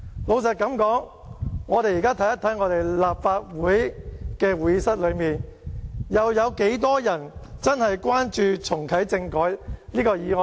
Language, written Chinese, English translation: Cantonese, 老實說，我們現在看一看在立法會會議廳裏，有多少人真正關注重啟政改這項議案呢？, Let us look at the Chamber now . Frankly speaking how many Members are really concerned about this motion of reactivating constitutional reform?